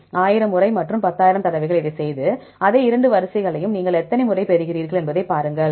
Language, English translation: Tamil, Do it for 1,000 times and 10,000 times and then see how many times you get the same two sequences are aligned together right